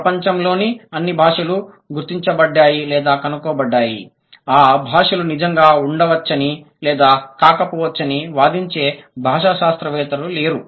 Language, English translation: Telugu, No linguist claims that all the languages in the world have been identified or discovered or found out, may or may not be true